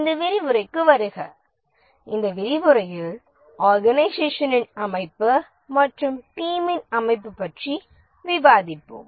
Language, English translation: Tamil, Welcome to this lecture about the organization structure and the team structure